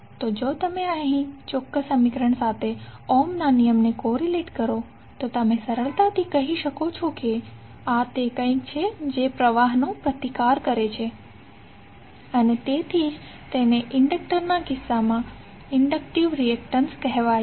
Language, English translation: Gujarati, So if you correlate that Ohm's law with this particular equation, you can easily say that this is something which resist the flow and that is why it is called inductive reactance in case of inductor